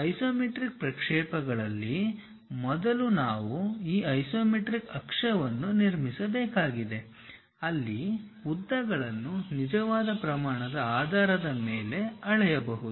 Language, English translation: Kannada, In isometric projections first of all we have to construct this isometric axis where lengths can be measured on true scale basis